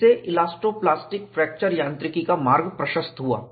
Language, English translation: Hindi, This paved the way for elasto plastic fracture mechanics, at least approximately